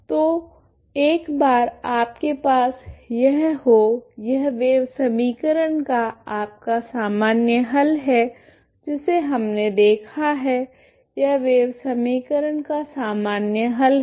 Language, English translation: Hindi, So once you have this, this is your general solution of wave equation that is what we have seen ok, this is the general solution of wave equation